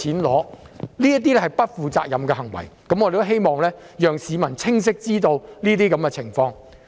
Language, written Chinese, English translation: Cantonese, 這是不負責任的行為，我們希望讓市民清晰知道這些情況。, This is an irresponsible behaviour . We want to make the situations clear to the public